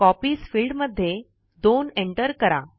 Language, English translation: Marathi, In the Copies field, enter 2